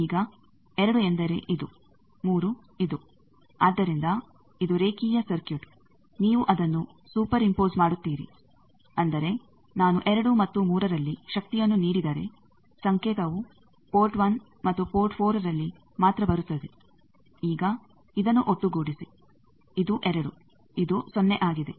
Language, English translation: Kannada, Now 2 means this 3 means this, so this is a linear circuit, you super impose that that means, if I give power at 2 and 3 then signal is coming only at port 1 and port 4, now sum this this is 2, this is 0